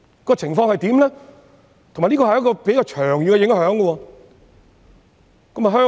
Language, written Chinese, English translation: Cantonese, 而且，這是一個比較長遠的影響。, This will anyway impose a rather long - term impact